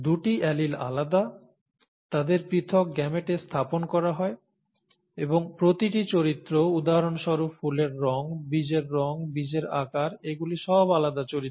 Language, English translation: Bengali, The two alleles separate, they are placed in separate gametes; and each character, for example flower colour, seed colour, seed shape, these are all different characters